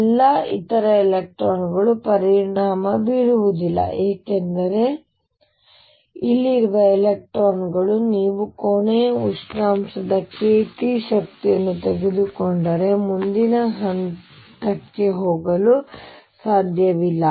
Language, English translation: Kannada, All other electrons are not going to be affected because an electron out here if you take energy k t of the room, temperature cannot go and move to the next level which is occupied